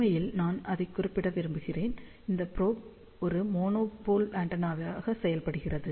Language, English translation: Tamil, In fact, I just want to mention that, this probe acts as a monopole antenna